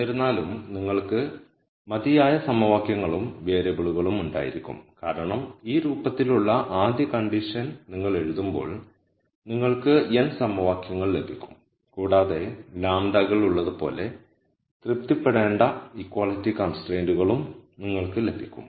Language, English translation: Malayalam, However, you will have enough equations and variables because when you write the first condition which is of this form you will get the n equations and you will get as many equality constraints that need to be satisfied as there are lambdas